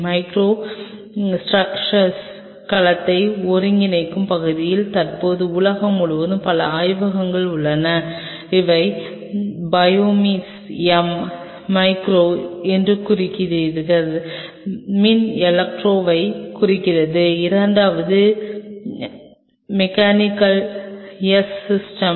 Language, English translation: Tamil, Then there are several labs across the world who are currently working in the area of integrating cell on microstructures, which you must have heard something called Biomems M stands for micro, E stands for electro, the second M is mechanical, S stand for system